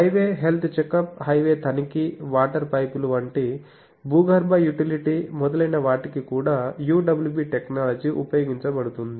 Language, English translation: Telugu, UWB technology also is used for highway health checkup, highway inspection, underground utility like water pipes etc